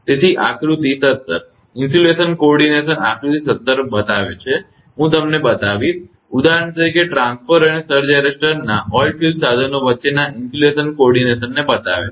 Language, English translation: Gujarati, So, figure seventeen shows the insulation coordination figure 17 I will show you, shows the insulation coordination between an oilfield equipment for example, transformer and the surge arrester